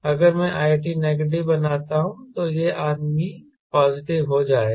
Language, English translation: Hindi, right, if i make i t negative, then this man will become positive